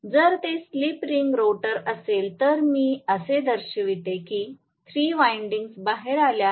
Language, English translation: Marathi, If it is slip ring rotor I will show it like this as though 3 windings come out that is it